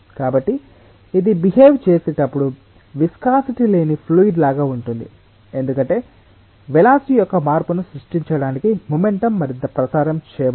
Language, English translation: Telugu, so it is almost like a fluid without viscosity as it is behaving because the momentum is not further getting transmitted to create a change in the velocity